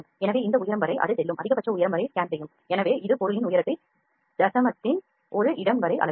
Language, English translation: Tamil, So, it will just scan up till this height the maximum height that it will go, so it has measure the height of the object up to a single place of decimal